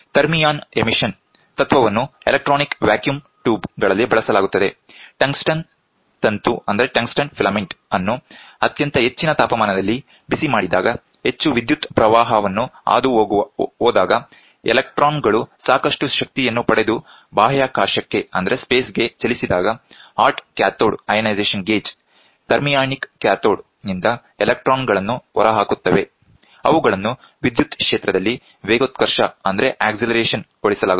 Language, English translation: Kannada, The principle of thermion emission is employed in electronic vacuum tubes; when the tungsten filament is heated at a very high temperature passing, very high current, the electrons acquire sufficient energy and moved into the space, the hot cathode ionization gauge, the electron emit from the thermionic cathode will be accelerated in an electric field